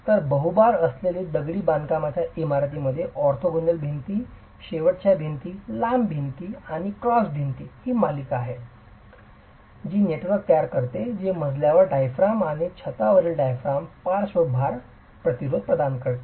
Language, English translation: Marathi, So, in a load bearing multi storied masonry building, it is the series of orthogonal walls, end walls, long walls and cross walls together which form the network that is going to provide the lateral load resistance along with the floor diaphragms and the roof diaphragms